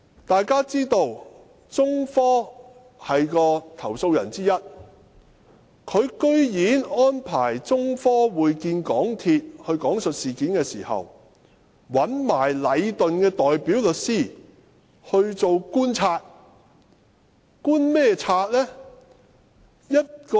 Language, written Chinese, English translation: Cantonese, 大家知道中科是投訴人之一，但港鐵公司安排中科講述事件時，居然讓禮頓的代表律師來觀察。, We all know that China Technology is one of the complainants . But in the investigation interview arranged by MTRCL for China Technology to recount the incident legal representatives of Leighton were also present as observers